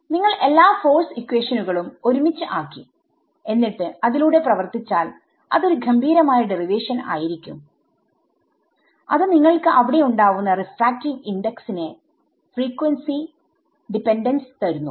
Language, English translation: Malayalam, So, when you put all the force equations together and work through it is a very elegant derivation which shows you that frequency, the frequency dependence of the refractive index it comes out over there